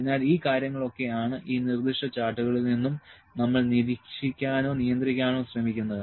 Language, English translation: Malayalam, So, these are the things which we are trying to monitor or control in these specific charts